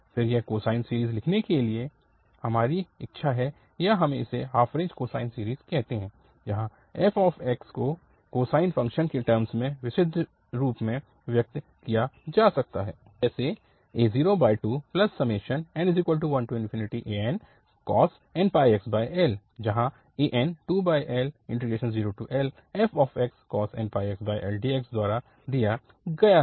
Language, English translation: Hindi, Then it is our wish to write down the cosine series or we call it half range cosine series, where f x can be represented by purely in terms of the cosine functions, where the an is given by 2 over L and 0 to L f x cos n pi x over L